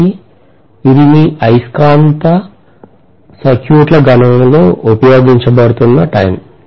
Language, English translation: Telugu, So this will be used time and again in all your magnetic circuit calculations